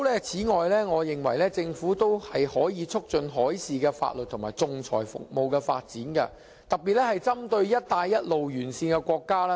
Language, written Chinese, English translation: Cantonese, 此外，我認為政府可以促進海事法律及仲裁服務的發展，特別是針對"一帶一路"沿線國家。, Besides I think the Government can foster the development of shipping legislation and arbitration services and focus specifically on those countries along the One Belt One Road